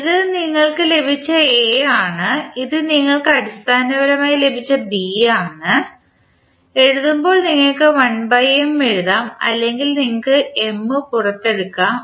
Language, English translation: Malayalam, And this is the A which you have got, this is B which you have got basically in this case when we write we can write 1 by M also or you can take M out also